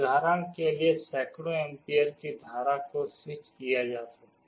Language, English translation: Hindi, For example, hundreds of amperes of currents can be switched